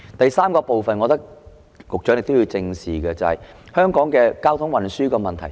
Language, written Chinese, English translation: Cantonese, 第三部分，我認為局長亦要正視的，是香港的交通運輸問題。, Thirdly I hold that the Secretary has to face up to the traffic problems in Hong Kong as well